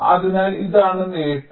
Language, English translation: Malayalam, ok, so this is the advantage